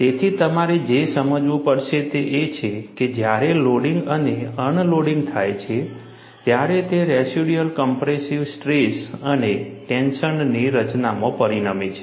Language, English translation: Gujarati, So, what you will have to realize is, when there is a loading and unloading, this results in formation of residual compressive stress and tension